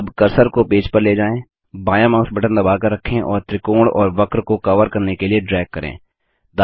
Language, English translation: Hindi, Now move the cursor to the page, press the left mouse button and drag to cover the triangle and the curve